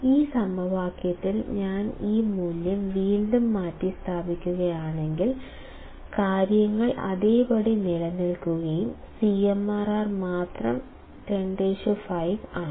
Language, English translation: Malayalam, If I substitute this value again in this equation, the things remain the same; only CMRR is 10 raised to 5